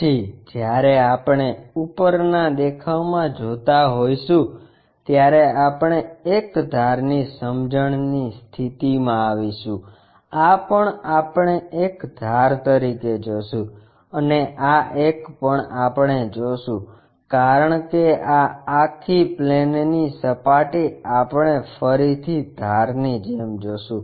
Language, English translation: Gujarati, Then when we are looking from top view this one we will be in a position to sense as an edge, this one also we will see as an edge and this one also we will see because this entire plane surface we will see again as an edge